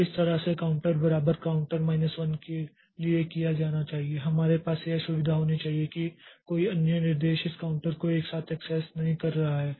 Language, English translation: Hindi, Similarly for this counter equal to counter minus one we have to have the facility that no other instruction is accessing this counter simultaneously